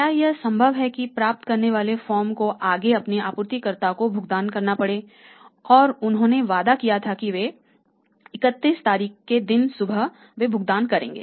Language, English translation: Hindi, If it is possible that the paying for the receiving firm had to further make the payment to their suppliers and had promised that on 31st day morning will make the payment to you